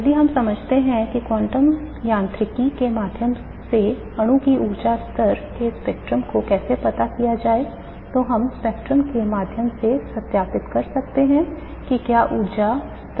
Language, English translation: Hindi, If we understand how to obtain the energy level spectrum of the molecule through quantum mechanics, we can verify through the spectrum whether those energy level descriptions are correct